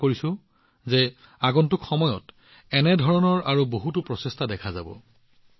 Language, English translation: Assamese, I hope to see many more such efforts in the times to come